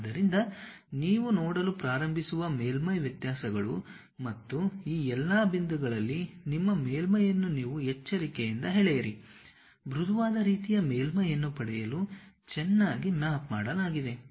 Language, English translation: Kannada, So, that surface variations you start seeing and you carefully pull your surface in all these points, nicely mapped to get a smooth kind of surface